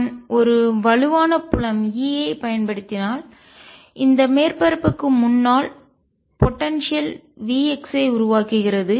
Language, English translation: Tamil, If I apply a strong field e it creates a potential V x wearing in front of this surface